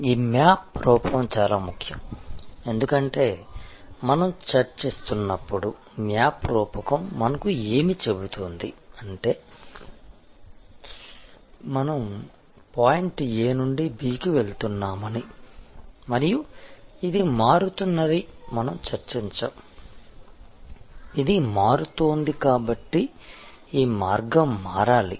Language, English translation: Telugu, The map metaphor is very important, because as we were discussing, the map metaphor tells us, that we are going from point A to point B and we have discussed that this is changing, this is changing therefore, this route needs to change